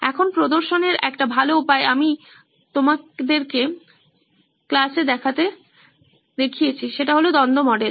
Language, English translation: Bengali, Now a better way of representing which you have seen me show in the classes is the conflict model